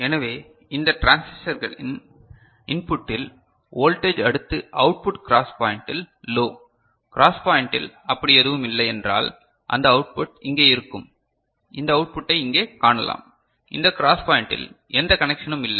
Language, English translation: Tamil, So, voltage at the input of this the transistor next the output low right at the cross point and if at the cross if at the cross point no such thing is there, then these output will be you can see over here these output over here, there is no connection in this cross point